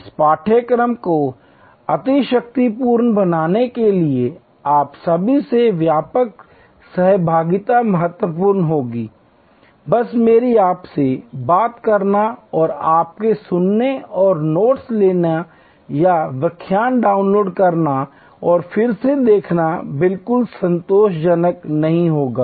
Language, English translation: Hindi, Wider participation from all of you would be very important to make this course superlative, just my talking to you and your listening and taking notes or downloading the lecture and seeing it again will not be at all satisfactory